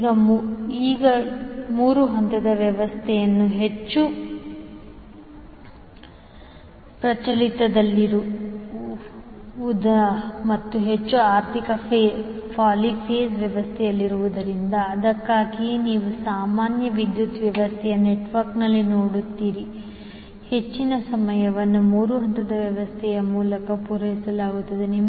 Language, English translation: Kannada, Now, since 3 phase system is most prevalent in and most economical poly phase system, so, that is why you will see in the normal power system network, most of the time the power is being supplied through 3 phase system